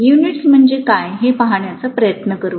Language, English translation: Marathi, Let us try to take a look at what the units are